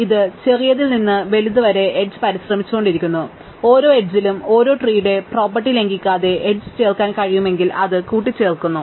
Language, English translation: Malayalam, So, it keeps trying edges from smallest to largest and for every edge if it can add the edge without violating a tree property, it adds it